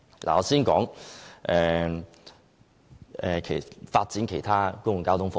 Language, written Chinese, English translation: Cantonese, 我先說發展其他公共交通服務。, I will first talk about the development of other public transport services